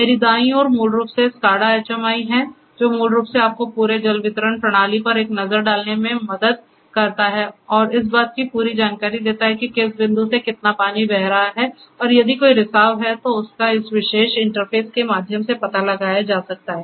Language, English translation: Hindi, So, on my right is basically the SCADA HMI which basically helps you to graphically have a look at the entire water distribution system and basically to have complete knowledge of from which point how much water is flowing through and also if there is any leakage at any of the points that also can be detected through this particular interface